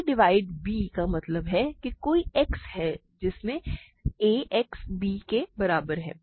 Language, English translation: Hindi, a divides b means, there exists some x such that ax equal to b